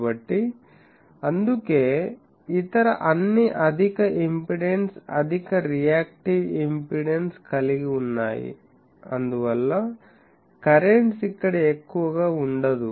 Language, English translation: Telugu, So, that is why and others are all having high impedance, high reactive impedance, so that is why currents are not large there